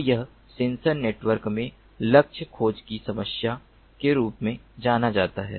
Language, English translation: Hindi, so this is known as the problem of target tracking in sensor networks